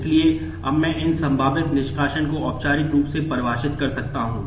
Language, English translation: Hindi, So, now I can formally define these possible removals